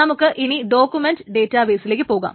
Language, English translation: Malayalam, So then let us move on to document databases